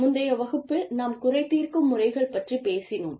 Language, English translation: Tamil, In the previous class, we talked about, grievance procedures